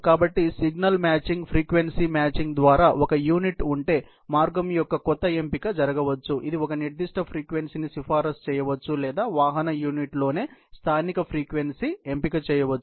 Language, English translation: Telugu, So, it is all by signal matching, a frequency matching, that some selection of the path can happen if you have a unit, which can recommend a particular frequency or do a local frequency selection on the vehicle unit itself